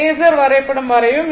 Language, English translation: Tamil, So, draw the phasor diagram